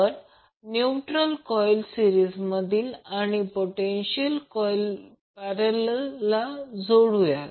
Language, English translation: Marathi, Will connect the current coil in series and potential coil in parallel